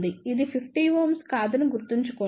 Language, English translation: Telugu, Remember this is not 50 ohm